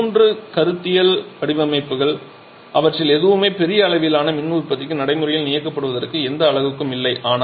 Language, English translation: Tamil, So, these 3 are all conceptual designs none of them are having any practically commissioned unit for large scale power production